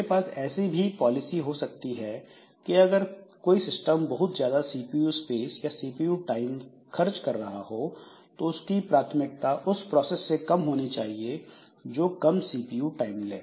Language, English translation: Hindi, I can also have a policy like this that if a system is using lot of CPU space, CPU time, then its priority should be low compared to a process which uses less CPU time